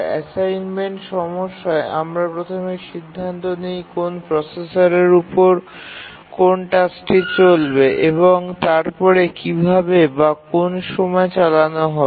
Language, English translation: Bengali, In the assignment problem, we first decide which task will run on which processor and then how or what time will it run